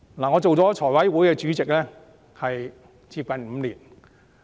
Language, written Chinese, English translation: Cantonese, 我擔任財務委員會主席接近5年。, I have taken up the chairmanship of the Finance Committee FC for nearly five years